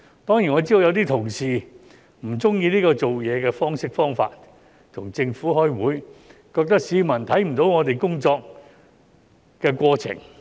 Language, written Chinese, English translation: Cantonese, 當然，我知道有些同事不喜歡這種做事方式、方法，與政府開會，認為市民看不到議員工作的過程。, I certainly know that some colleagues are not pleased with this style or way of doing things by having meetings with the Government thinking that the public is unable to see Members course of work